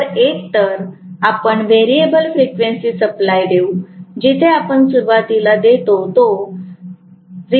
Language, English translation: Marathi, So, either we give variable frequency supply, where we actually give initially may be 0